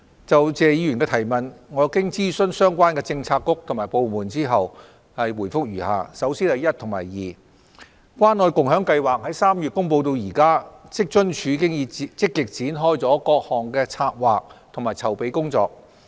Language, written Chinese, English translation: Cantonese, 就謝議員的質詢，經諮詢相關政策局及部門後，我現答覆如下：一及二關愛共享計劃自3月公布至今，職津處已積極展開各項策劃和籌備工作。, Having consulted the relevant policy bureaux and departments my reply to the questions raised by Mr Paul TSE is as follows 1 and 2 Since the announcement of the Scheme in March this year WFAO has been actively undertaking the planning and preparatory work for the Scheme